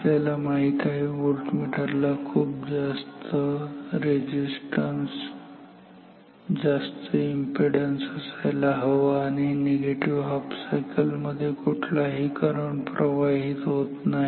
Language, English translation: Marathi, We know the voltmeter should have very high resistance very high impedance and in the negative cycle no current flows, no problem because in the original circuit as well no current was flowing between this